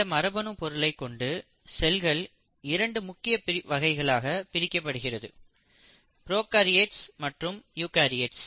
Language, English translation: Tamil, So we divide different types of cells into 2 major categories, prokaryotes and eukaryotes